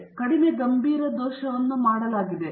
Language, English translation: Kannada, So, a less serious error has been made